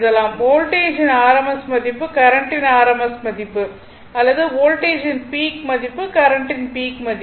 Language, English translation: Tamil, That is, rms value rms value of the voltage rms value of the current or peak value of the voltage peak value of the current right